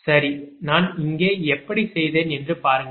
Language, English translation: Tamil, so look how i have made it here right